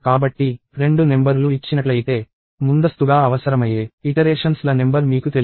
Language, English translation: Telugu, So, given two numbers, you do not know the number of iterations that is required upfront